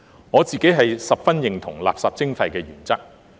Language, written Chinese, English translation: Cantonese, 我自己十分認同垃圾徵費的原則。, I myself strongly agree with the principle of waste charging